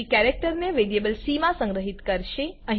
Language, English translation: Gujarati, Then it will store the characters in variable c